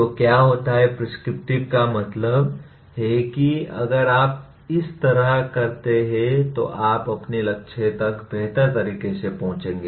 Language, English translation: Hindi, So what happens, prescriptive means if you do like this you will reach your goal better